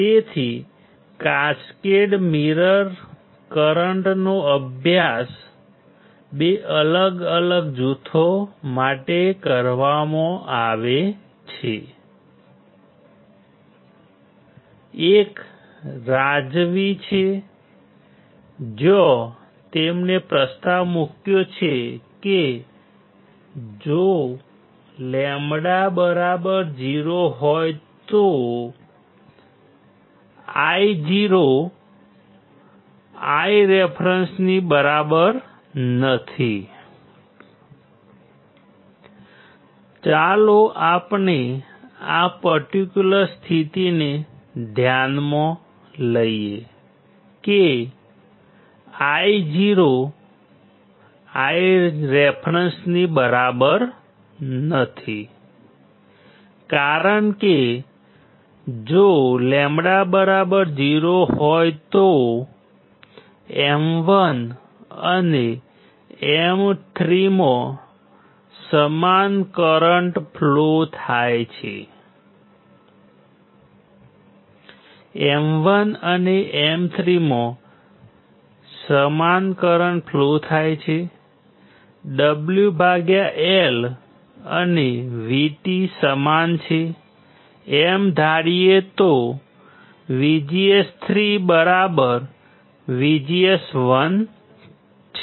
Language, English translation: Gujarati, So, cascaded current mirror were studied by 2 different groups, one is Razavi where he proposes that, if Io is not equals to I reference if lambda equals to 0, let us consider this particular condition Io is not equals to I reference, because if lambda equals to 0, that is same current flows in M 1 and M 3, same current flows in M 1 and M 3, assuming W by L and V T are same VGS 3, equals to VGS 1 correct, what it says